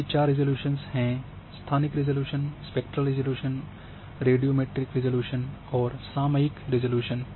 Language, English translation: Hindi, One is spatial resolution, spectral resolution, radio matric resolution and temporal resolution